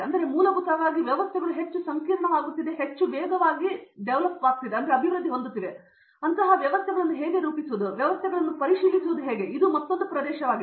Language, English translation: Kannada, So, essentially the systems are becoming more and more complex and how to model such systems, how to verify such systems, so that is another area